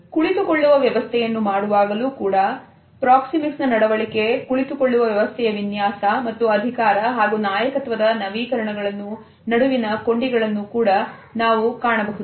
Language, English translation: Kannada, In seating arrangements also we find that there are linkages between and among proxemic behavior designing, seating arrangement and power and leadership equations